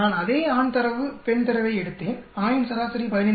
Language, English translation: Tamil, I took the same male data female data, average of male is 15